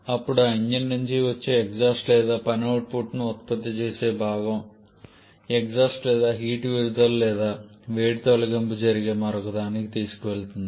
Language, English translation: Telugu, Then that exhaust coming out of that engine or the component producing work output that is taken to another where the exhaust or heat released or heat removal takes place